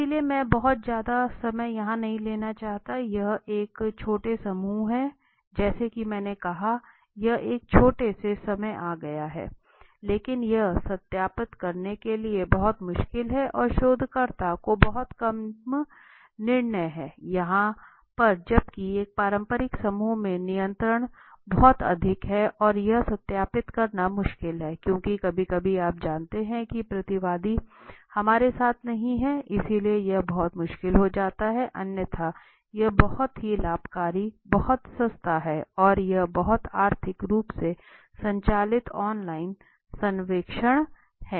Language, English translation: Hindi, So I do not want to take too much of time here it is a small group as I said it is a small time but it is very difficult to verify and the researcher has very little control over here right whereas here the control is very high in a traditional group and this is difficult to verify because we cannot sometimes because of the you know respondent is not there the participants is not there with us so it becomes very difficult right but otherwise this is a very advantage is very cheap and it is a very economically driven right it is very economical to do a online survey